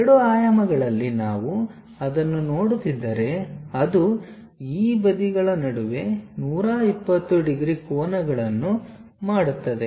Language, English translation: Kannada, In two dimensions if we are seeing that, it makes 120 degrees angle, in between these sides